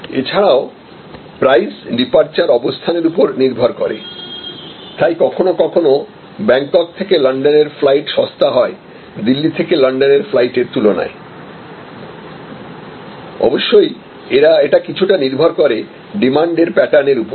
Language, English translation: Bengali, Also price will depend on departure location, so sometimes flights taking off from Bangkok for London may be cheaper than flight taking off from Delhi for London again depends on pattern of demand